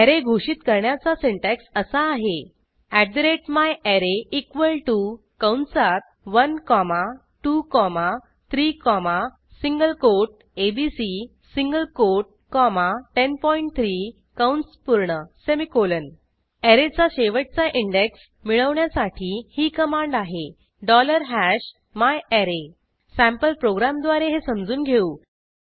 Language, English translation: Marathi, The syntax for declaring an array is @myArray equal to open bracket 1 comma 2 comma 3 comma single quote abc single quote comma 10.3 close bracket semicolon The last index of an array can be found with this command $#myArray Let us understand this using sample program